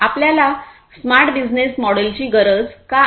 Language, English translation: Marathi, Why do we need a smart business model